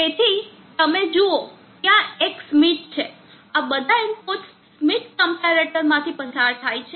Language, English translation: Gujarati, So you see there is a schmitt all the inputs are pass through schmitt comparator